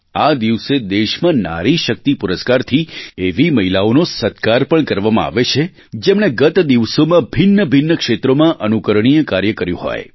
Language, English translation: Gujarati, On this day, women are also felicitated with 'Nari Shakti Puraskar' who have performed exemplary tasks in different sectors in the past